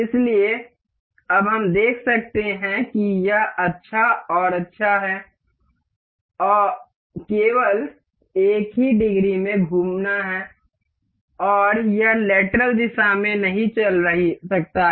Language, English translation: Hindi, So, now we can see this is nice and good, rotating only in one degree of freedom, and it cannot move in lateral direction